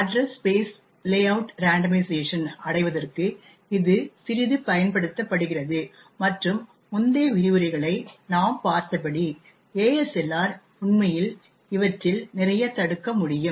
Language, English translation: Tamil, It is used quite a bit in order to achieve Address Space Layout Randomization and as we have seen the previous lectures ASLR can actually prevent a lot of these